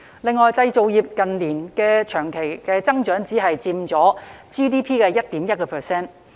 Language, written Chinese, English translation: Cantonese, 另外，製造業近年的長期增長只佔 GDP 的 1.1%。, Moreover in recent years the manufacturing industries have only accounted for 1.1 % of GDP